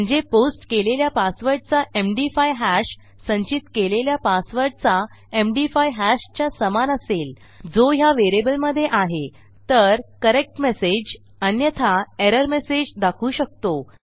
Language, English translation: Marathi, So Ill say if the MD5 hash of a posted password is equal to the MD5 hash of the stored password, which is here, this is the variable were using here, then we can display the correct message or we can display an error message